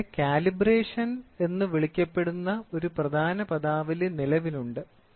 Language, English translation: Malayalam, So, here there is an important terminology which is called as calibration which comes into existence